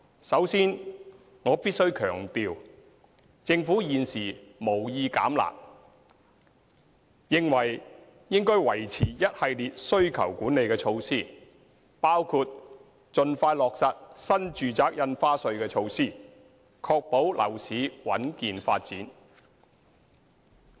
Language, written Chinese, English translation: Cantonese, 首先，我必須強調，政府現時無意"減辣"，認為應該維持一系列需求管理措施，包括盡快落實新住宅印花稅措施，確保樓市穩健發展。, First of all I must stress that currently the Government has no intention of relaxing the curb measures and takes the view that we should maintain a series of demand - side management measures including the expeditious implementation of the New Residential Stamp Duty NRSD measure so as to ensure the stable and healthy development of the property market